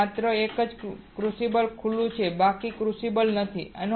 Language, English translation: Gujarati, And only one crucible is exposed rest of the crucibles are not